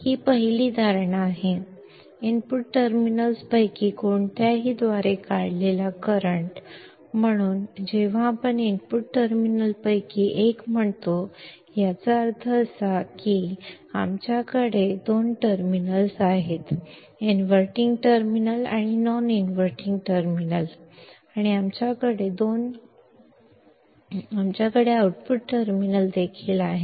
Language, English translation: Kannada, The current drawn by either of the input terminals, so when we say either of input terminals, means that, as we have two terminals, inverting terminal and non inverting terminal and we also have the output terminal